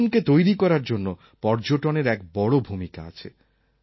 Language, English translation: Bengali, Travel plays a very strong role in shaping our lives